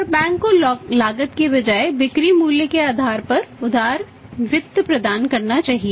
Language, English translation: Hindi, And bank should provide the liberal finance on the basis of the sales value rather than the cost